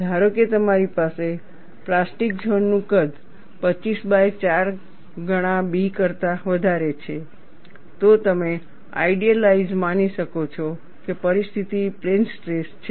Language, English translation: Gujarati, Suppose, you have the plastic zone size is greater than 4 times B by 25, you could idealize that, the situation is plane stress